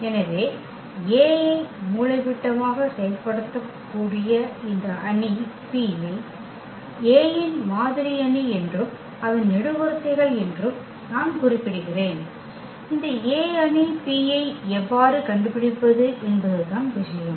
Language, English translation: Tamil, So, just a note here that this matrix P which diagonalizes A is called the model matrix of A and whose columns, I mean the point is how to find this A matrix P